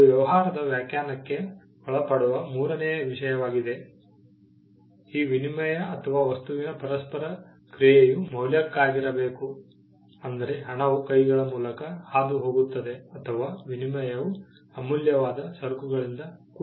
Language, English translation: Kannada, The third thing that to fall within the definition of a business, this exchange or this interaction of the thing the interaction of the thing, has to be for a value which means money passes hands, or the exchange is itself of valuable goods